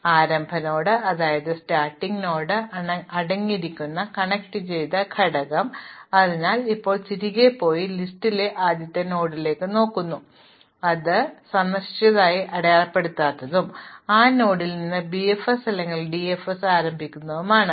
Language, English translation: Malayalam, So, the connected component containing the start node, so now we go back and we look at the first node in the list which is not mark visited and we restart BFS or DFS from that node